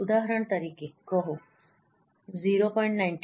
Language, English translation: Gujarati, For example, say 0